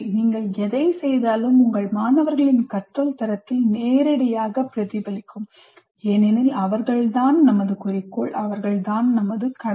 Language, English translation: Tamil, Whatever you do will directly reflect in the quality of learning of your students because that is our, they are our goal, they are our duty